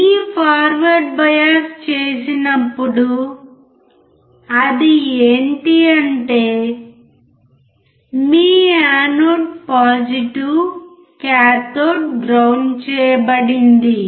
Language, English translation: Telugu, When this forward bias; that means, your node is positive cathode is ground